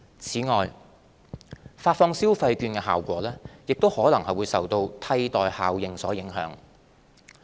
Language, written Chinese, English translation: Cantonese, 此外，發放消費券的效果亦可能受"替代效應"所影響。, Moreover the effectiveness of issuing consumption vouchers may be undermined by the substitution effect